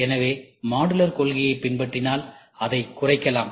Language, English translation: Tamil, So, modular if you follow, it can be reduced